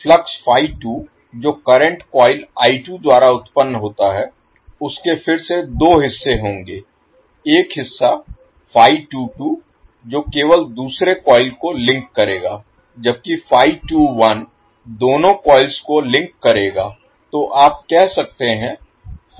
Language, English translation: Hindi, The flux phi 2 which is generated by the current coil I2 will again have the 2 components 1 component phi 22 which will link only the second coil while the phi 21 will link both of the coils